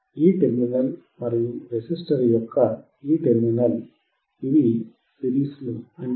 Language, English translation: Telugu, This terminal and this terminal of the resistor, these are in series